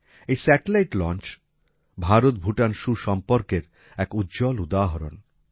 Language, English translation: Bengali, The launching of this satellite is a reflection of the strong IndoBhutan relations